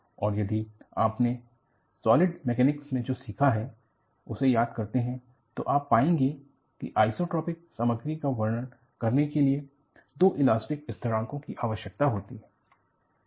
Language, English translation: Hindi, And, if you really recall your understanding of solid mechanics, you need two elastic constants to characterize the isotropic material